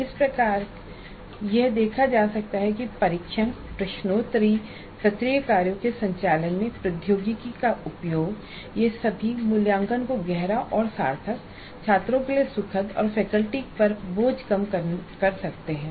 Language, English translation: Hindi, So it can be seen that the use of technology in administering test, quiz assignments all this can make the assessment both deeper and meaningful, enjoyable to the students and reduce the burden on the faculty